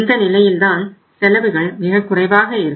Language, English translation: Tamil, At this level the costs are going up